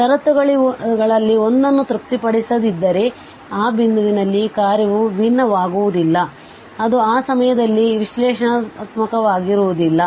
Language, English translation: Kannada, If this one of this conditions is not satisfied, then the function will not be differentiable at that point and hence it will not be analytic at that point